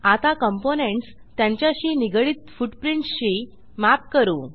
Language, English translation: Marathi, Now we will map the components with their associated footprints